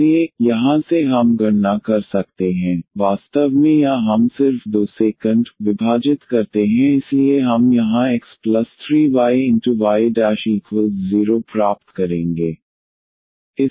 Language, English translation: Hindi, So, from here we can compute, in fact or we just divide here by 2 so we will get here x plus 3 y and y prime is equal to 0